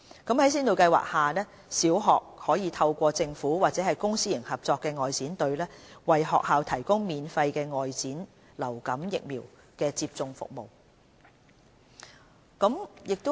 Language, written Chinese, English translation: Cantonese, 在先導計劃下，小學可透過政府或公私營合作外展隊，為學校提供免費的外展流感疫苗接種服務。, Under the Pilot Programme the Government will arrange vaccination teams either by the Government Outreach Team or by the PPP Outreach Team to provide outreach vaccination service for the participating primary schools